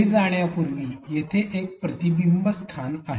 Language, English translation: Marathi, Before proceeding further here is a reflection spot